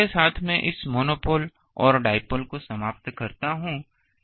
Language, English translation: Hindi, So, with this I conclude this monopole and dipole thing